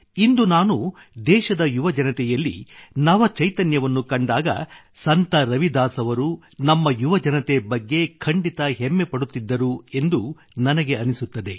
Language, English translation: Kannada, Today when I see the innovative spirit of the youth of the country, I feel Ravidas ji too would have definitely felt proud of our youth